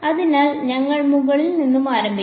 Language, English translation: Malayalam, So, we will start from the top